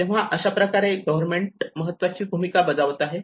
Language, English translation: Marathi, So how government plays an important role